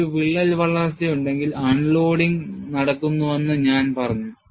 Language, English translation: Malayalam, And I have said, if there is a crack growth, unloading takes place